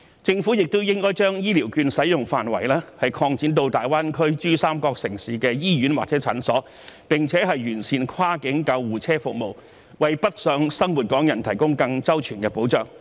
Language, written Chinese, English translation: Cantonese, 政府亦應該將醫療券使用範圍擴展至大灣區珠三角城市的醫院或診所，並且完善跨境救護車服務，為北上生活港人提供更周全的保障。, The Government should also expand the scope of application of the Health Care Vouchers to the hospitals or clinics in the Pearl River Delta cities of the Greater Bay Area and improve the cross - border ambulance services so as to afford more comprehensive protection to the Hong Kong people living in the Mainland